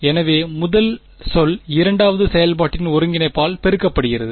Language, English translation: Tamil, So, first term multiplied by integral of the second function right